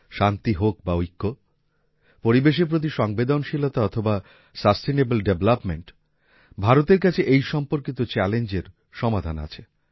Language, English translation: Bengali, Whether it is peace or unity, sensitivity towards the environment, or sustainable development, India has solutions to challenges related to these